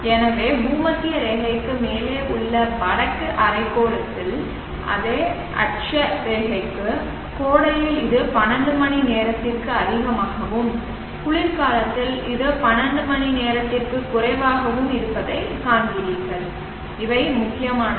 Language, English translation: Tamil, So therefore you see that for the same latitude in the northern hemisphere above the equator in summer it is greater than 12 hours in winter it is less than 12 hours and these are the important take a ways